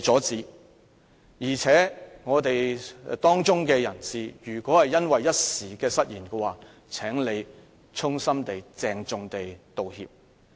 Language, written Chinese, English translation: Cantonese, 他是我們的一分子，如果因為一時失言，他應該衷心鄭重地道歉。, He is part of the legislature . If all was due to a slip of the tongue he should tender a sincere and solemn apology